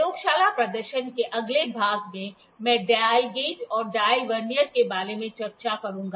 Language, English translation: Hindi, In the next part of lab demonstration, I will discuss about the dial gauge and the dial Vernier